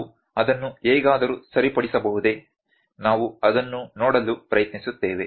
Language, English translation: Kannada, Could we correct that somehow; we will try to see that